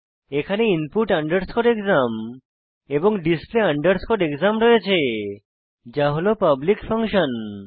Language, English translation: Bengali, Here we have input exam and display exam as public functions